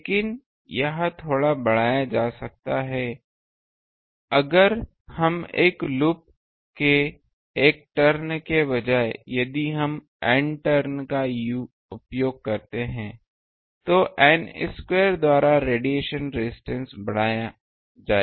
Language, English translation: Hindi, But this can be increased a bit if we instead of a single turn of a loop; if we use N turns, the radiation resistance will increase by n square